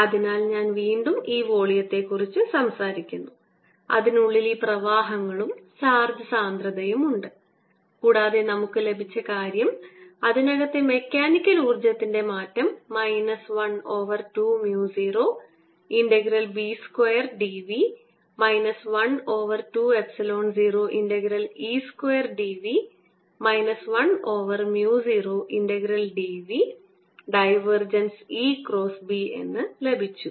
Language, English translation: Malayalam, so again, i am talking about this volume inside which there are these currents and charge densities, and what we've gotten is that the change of the mechanical energy inside is equal to minus one half mu zero integration b square d v minus one half epsilon, zero